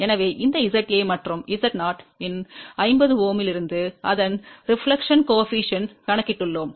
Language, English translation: Tamil, So, from this Z A and 50 Ohm of Z 0, we have calculated reflection coefficient of this value and VSWR of 3